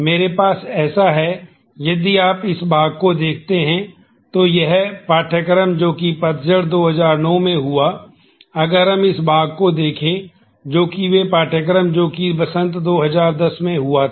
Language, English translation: Hindi, I have so, if you look at this part this courses that happened in fall 2009; if we look at this part courses that happened in spring 2010 good